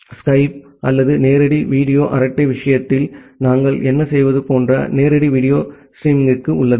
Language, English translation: Tamil, And there is also kind of live video streaming like, what we do in case of Skype or live video chat